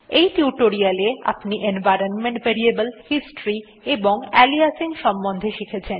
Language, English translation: Bengali, So, in this tutorial, we have learned about environment variables, history and aliasing